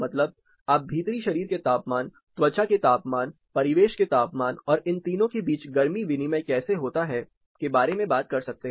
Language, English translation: Hindi, That is you are talking about the core body temperature skin temperature, ambient temperature and how heat exchange happens between these three nodes